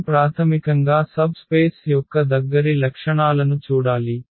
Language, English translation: Telugu, So, we have to see basically those closer properties of the subspace